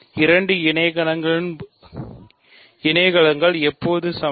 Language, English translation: Tamil, When are two cosets equal